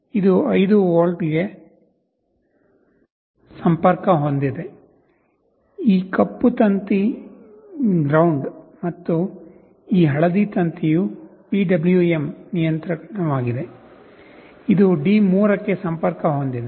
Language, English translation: Kannada, This is 5 volts, which is connected to the 5 volt point, this black wire is GND, and this yellow wire is the PWM control, which is connected to D3